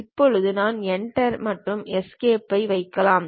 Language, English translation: Tamil, Now, I can just put Enter and Escape